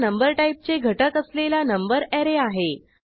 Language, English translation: Marathi, This is the number array which has elements of number type